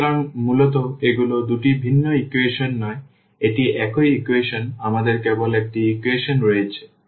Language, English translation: Bengali, So, basically these are not two different equations this is the same equation we have only 1 equations